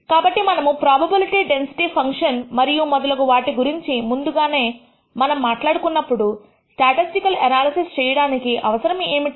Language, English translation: Telugu, So, what is the need for performing statistical analysis when we have already talked about probability density functions and so on